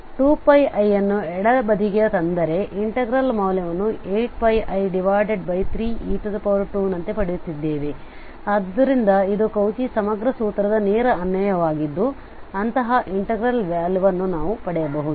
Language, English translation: Kannada, This factorial 3 over 2 pi i we can bring to the left hand side, so we are getting the value of the integral as 8 pi i over 3 e square, so this was a direct application of the Cauchy integral formula where we can get the value of such a integral